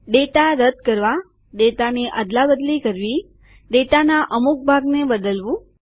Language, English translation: Gujarati, Removing data, Replacing data, Changing part of a data